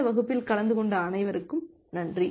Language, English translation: Tamil, Thank you all for attending this class